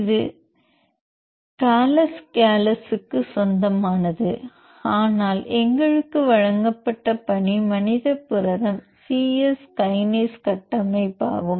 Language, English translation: Tamil, This is belongs to Gallus gallus, but the task given for us is building structure for the human protein kinase human c Yes kinase